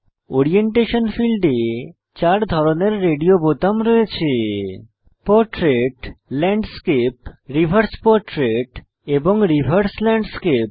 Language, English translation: Bengali, In the orientation field we have 4 radio buttons Portrait, Landscape, Reverse portrait, and Reverse landscape